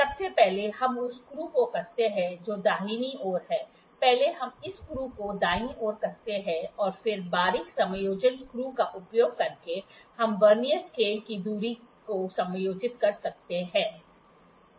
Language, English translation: Hindi, First, we tight the screw which is on the right hand side; first we tight this screw this is on the right hand side and then using the fine adjustment screw, we can adjust the distance of the Vernier scale